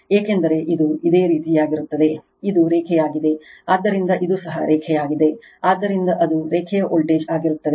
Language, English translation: Kannada, Because, this is line this is your, this is line, so this is also line, so that will be line to line voltage right